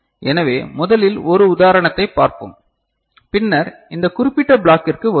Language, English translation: Tamil, So, let us look at one example first and then we shall come to this particular block